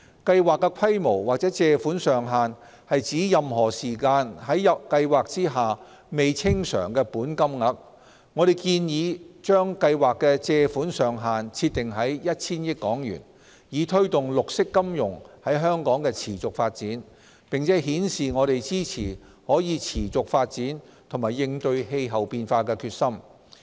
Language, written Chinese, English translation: Cantonese, 計劃的規模或借款上限是指任何時間在計劃下未清償的本金額。我們建議將計劃的借款上限設定在 1,000 億港元，以推動綠色金融在香港的持續發展，並顯示我們支持可持續發展及應對氣候變化的決心。, We propose that the borrowing ceiling or the scale of the Programme which refers to the maximum amount of outstanding principal at any time under the Programme should be set at HK100 billion in order to promote the sustainable development of green finance in Hong Kong and demonstrate our support for sustainable development and determination to combat climate change